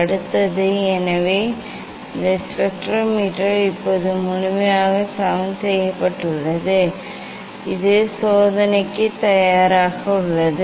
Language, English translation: Tamil, next, so these spectrometer is now, completely leveled ok, it is ready for the experiment